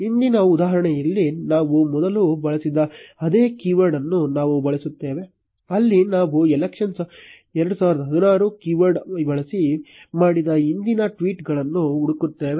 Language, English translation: Kannada, We will use the same keyword, which we used before in the previous example, where we were searching for past tweets made using the keyword #elections2016